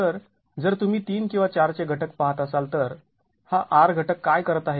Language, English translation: Marathi, So, if you're looking at R factors of 3 or 4, what's really, what is really what this R factor is doing